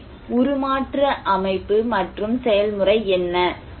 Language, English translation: Tamil, So, what are the transformation structure and process